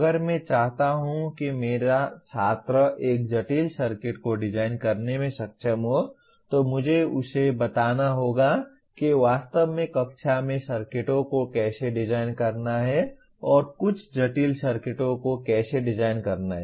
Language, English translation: Hindi, If I want my student to be able to design a complex circuit, I must tell him how to design and actually design some complex circuits in the class taking realistic specifications of the same